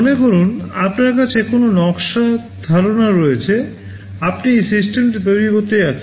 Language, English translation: Bengali, Suppose you have a design idea, you are going to manufacture the system